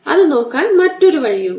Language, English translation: Malayalam, there is another way of looking at